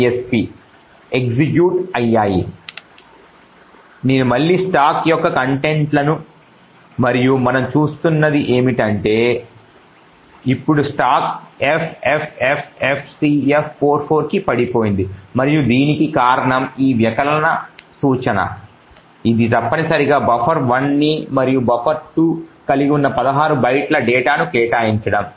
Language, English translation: Telugu, So I could look at the contents of the stack again are like follows and what we see is that now the stack has actually gone down to ffffcf44 and the reason for this is because of this subtract instruction which is essentially allocating 16 bytes of data who hold buffer 1 and buffer 2